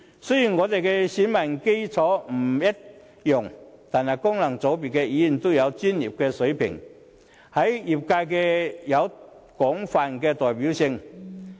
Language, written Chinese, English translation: Cantonese, 雖然我們的選民基礎不一樣，但功能界別的議員均具專業水平，在業界有廣泛的代表性。, Although Members representing the functional constituencies have different voter bases we are however of professional standards and have extensive representation in our respective industries